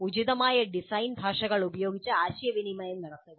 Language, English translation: Malayalam, Communicate using the appropriate design languages